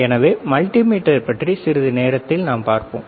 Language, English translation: Tamil, So, we will see about multimeter in a while